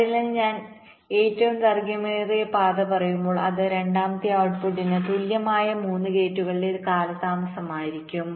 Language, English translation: Malayalam, so here when i say the longest path, it will be the delay of the second output, equivalent three gates delays